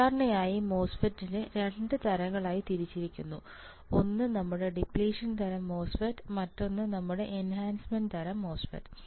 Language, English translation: Malayalam, Generally the MOSFET is divided into 2 types one is your depletion type MOSFET, another one is your enhancement type MOSFET ok